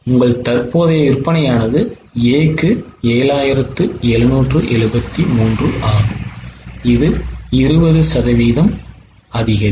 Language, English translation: Tamil, Your current sales of A is 7773